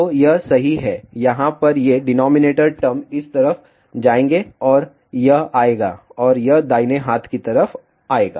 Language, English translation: Hindi, So, that is right over here these denominator terms will go to this side and that will come and that will come on the right hand side